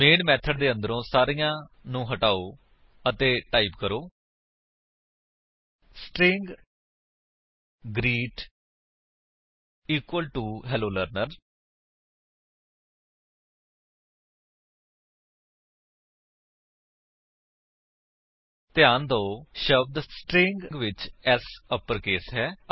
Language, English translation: Punjabi, Remove everything inside the main method and type: String greet equal to Hello Learner Note that S in the word String is in uppercase